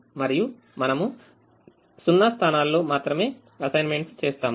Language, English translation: Telugu, we make assignments only in zero positions